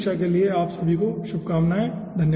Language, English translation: Hindi, wish you best of luck for the final examination